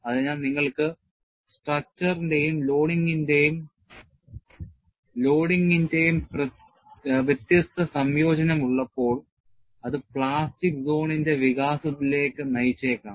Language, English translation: Malayalam, So, when you have a different combination of geometry and loading, it could lead to expansion of the plastic zone; so, the plastic zone is not confined